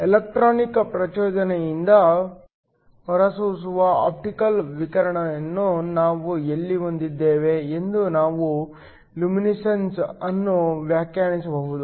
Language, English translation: Kannada, We can define luminescence as where we have optical radiation that is emitted because of electronic excitation